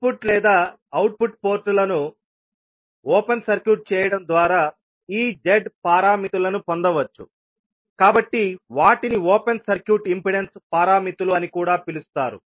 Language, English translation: Telugu, Since these Z parameters are obtained by open circuiting either input or output ports, they are also called as open circuit impedance parameters